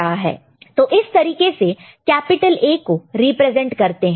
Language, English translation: Hindi, It is how capital A is represented